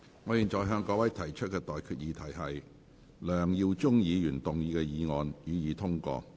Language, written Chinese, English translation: Cantonese, 我現在向各位提出的待決議題是：梁耀忠議員動議的議案，予以通過。, I now put the question to you and that is That the motion moved by Mr LEUNG Yiu - chung be passed